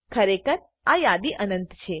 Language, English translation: Gujarati, Indeed, this list is endless